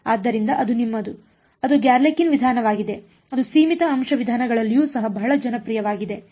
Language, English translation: Kannada, So, that is your, that is a Galerkin’s method, which is yeah also very popular in finite element methods